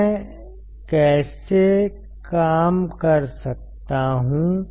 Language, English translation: Hindi, How can I operate